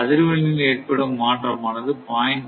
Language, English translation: Tamil, So, change in frequency is 0